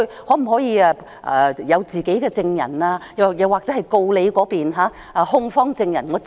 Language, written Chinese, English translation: Cantonese, 我可否有自己的證人，或由我親自盤問控方證人？, Can I call my own witnesses at the trial or can I cross - examine the plaintiffs witnesses? . The answer is in the negative